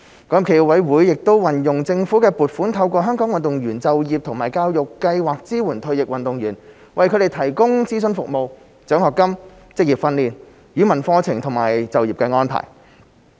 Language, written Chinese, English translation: Cantonese, 港協暨奧委會亦運用政府的撥款，透過香港運動員就業及教育計劃支援退役運動員，為他們提供諮詢服務、獎學金、職業訓練、語文課程和就業安排。, SFOC has also been using government funding to support retired athletes through the Hong Kong Athletes Career and Education Programme which provides consultation services scholarships vocational training language courses and job placement programmes